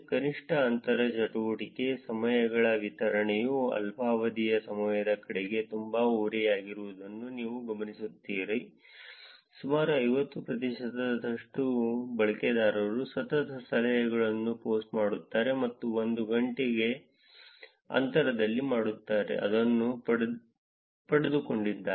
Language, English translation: Kannada, We note that the distribution of minimum inter activity times is very skewed towards short periods of times, with the almost 50 percent of the users posting consecutive tips and dones 1 hour apart, got it